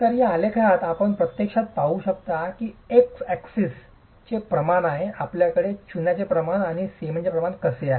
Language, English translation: Marathi, So in this graph you can actually see how as the proportion on the x axis you have the proportion of lime and the proportion of cement